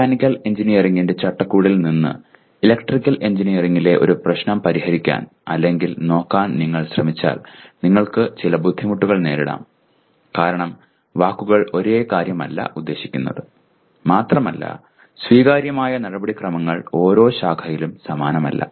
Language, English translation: Malayalam, If you try to solve or look at a problem in Electrical Engineering from the framework of Mechanical Engineering you can have some difficulty because the words do not mean the same thing and some of the accepted procedures are not the same in each branch and so on